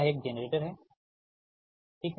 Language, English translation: Hindi, this is, this is one generator